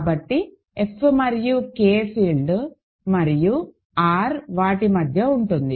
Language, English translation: Telugu, So, F and K are field and R is between them